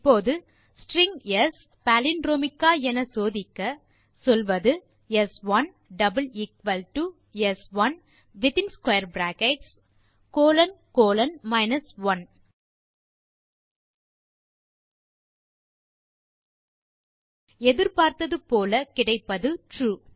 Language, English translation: Tamil, Now, to check if the string is s is palindromic, we say s1 is equal to is equal to s1 in square brackets colon colon 1 As, expected, we get True